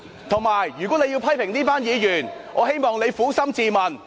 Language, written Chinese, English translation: Cantonese, 再者，如果你要批評這群議員，我希望你撫心自問。, Moreover if you were to criticize this group of Members I wish you could ask your own conscience